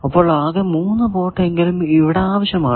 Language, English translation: Malayalam, So, at least 3 ports are required